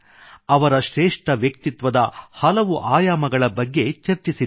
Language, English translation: Kannada, We have talked about the many dimensions of his great personality